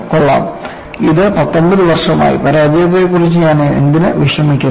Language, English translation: Malayalam, Fine, it has come for 19 years;why do I worry about the failure